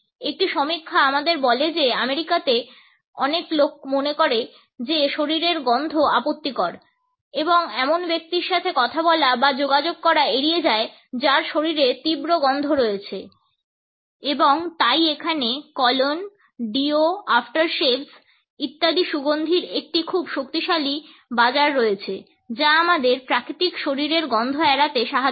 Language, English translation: Bengali, A study tell us that in America many people consider that the body odor is offensive and would avoid talking or interacting with a person who has strong body smells and therefore, there is a very strong market of scents, colognes, deo’s, aftershaves etcetera which helps us to overpower the natural body odors